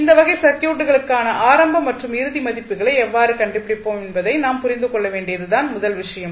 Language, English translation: Tamil, Now, the first thing which we have to understand that how we will find the initial and final values for these types of circuits